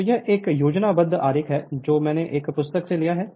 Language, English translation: Hindi, So, this is a schematic diagram which I have taken from a book right